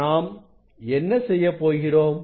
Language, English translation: Tamil, what we will do